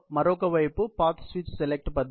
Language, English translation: Telugu, On the other is a path switch select method